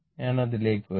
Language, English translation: Malayalam, So, I will come to that